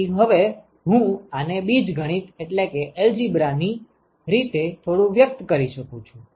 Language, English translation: Gujarati, So, now I can express this as, so a little bit of algebra